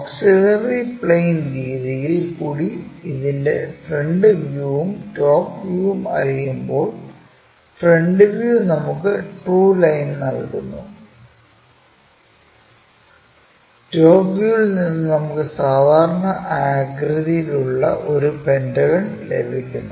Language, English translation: Malayalam, So, our auxiliary plane method, when we know the front views and the top views in this case, ah front view is giving us a line with true line and the top view is after ah having this view, we are getting a pentagon of regular shape